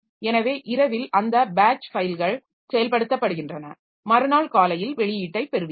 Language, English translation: Tamil, So, at the night those batch files are executed and you get the output in the next day morning